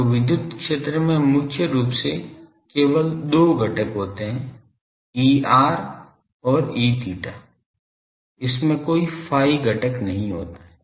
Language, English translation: Hindi, So, electric field has only two components mainly E r and E theta, it does not have any phi component